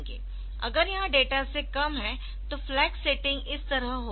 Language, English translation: Hindi, If it is less than data then the flag setting will be like this